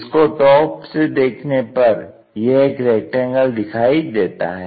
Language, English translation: Hindi, In the front view it looks like a rectangle